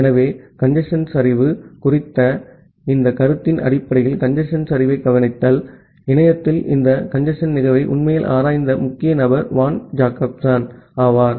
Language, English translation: Tamil, So, based on this notion of congestion collapse that observation of congestion collapse; Van Jacobson was the key person who actually investigated this phenomenon of congestion in the internet